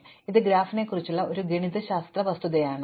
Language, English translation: Malayalam, Now, this is a mathematical fact about graph